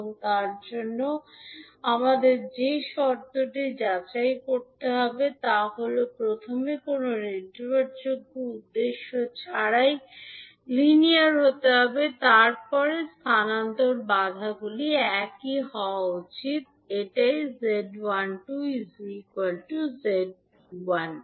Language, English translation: Bengali, And for that, the condition which we have to verify is that first it has to be linear with no dependent source, then transfer impedances should be same; that is Z12 should be equal to Z21